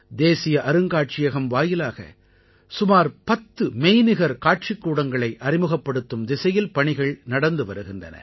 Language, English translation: Tamil, National museum is working on introducing around ten virtual galleries isn't this interesting